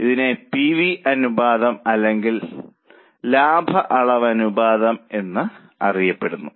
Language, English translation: Malayalam, It is also more popularly it is known as pv ratio or profit volume ratio